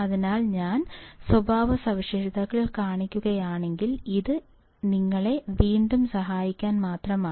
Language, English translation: Malayalam, So, if I see the characteristics, it is just to help you out once again